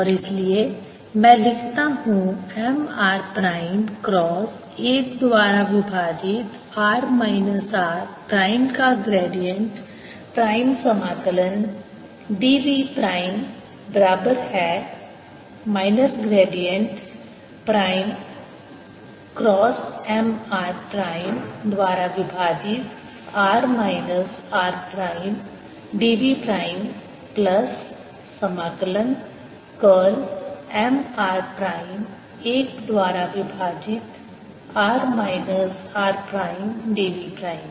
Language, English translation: Hindi, prime of one over r minus r prime integral d v prime is equal to, which is minus gradient prime: cross m r prime over r minus r prime d v prime plus integral curl of m r prime over r minus r prime d v prime as equal to minus n prime cross m r prime over r minus r prime d s prime